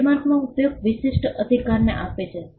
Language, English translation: Gujarati, The trademark confers an exclusive right to use